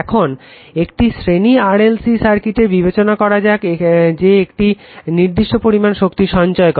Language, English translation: Bengali, Now now let us consider a series RLC circuit at resonance stores a constant amount of energy